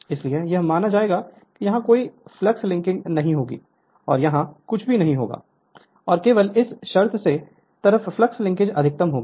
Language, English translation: Hindi, So, there will be assuming there will be no flux linking here and nothing will be here, and only under this condition flux linking will be maximum